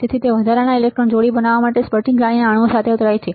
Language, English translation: Gujarati, They collide with the atoms of the crystal lattice to form additional electron pair